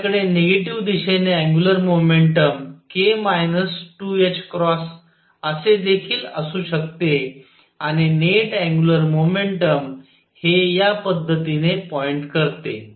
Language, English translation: Marathi, I could also have the angular momentum k minus 2 h cross in the negative direction and the net angular momentum point in this way